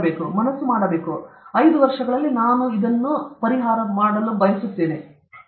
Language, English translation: Kannada, Mind must pursue that, within five years I want to do, that ten years I want to do that okay